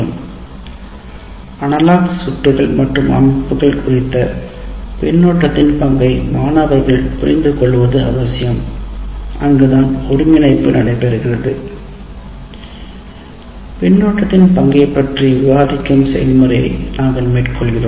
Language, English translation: Tamil, So, understanding the role of feedback is absolutely necessary for the student with regard to analog circuits and systems and that is where the integration we go through the process of discussing the role of feedback